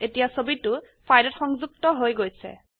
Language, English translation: Assamese, The picture is now linked to the file